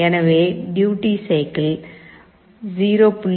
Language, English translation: Tamil, So, we set the duty cycle to 0